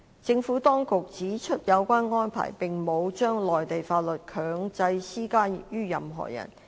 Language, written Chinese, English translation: Cantonese, 政府當局指出有關安排沒有將內地法律強制施加於任何人。, The Administration submits that the arrangement does not compel the application of Mainland laws on any person